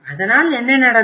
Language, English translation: Tamil, So what happened